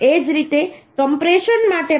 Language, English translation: Gujarati, 67 Similarly for compression also 0